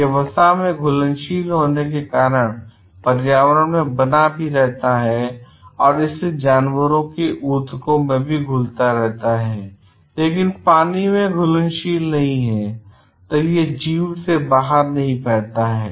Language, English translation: Hindi, It also persists in the environment by being soluble in fat and hence storable in animal tissue, but not soluble in water, so that it is not flushed out of the organism